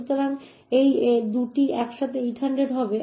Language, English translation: Bengali, So, these 2 together would be 800